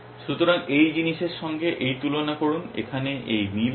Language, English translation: Bengali, So, compare this with this thing this match here